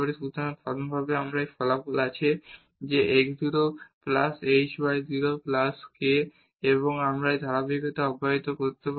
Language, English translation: Bengali, So, in general we have this result that x 0 plus h y 0 plus k and we can keep on this continuing